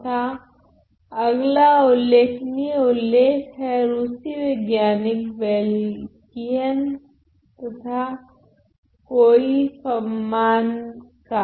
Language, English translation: Hindi, And then another notable mention was by Beylkin a Russian scientist and Coifmann